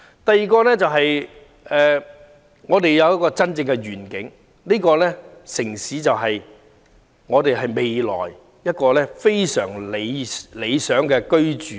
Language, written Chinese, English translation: Cantonese, 第二，我們應有真正的願景，知道這個城市未來能提供非常理想的居住環境。, Second we should have a genuine vision knowing that the city will offer an ideal living environment in the future